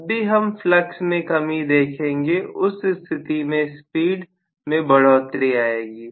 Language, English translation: Hindi, So, whenever I am going to see weakening of the flux, I will have increase in the speed, right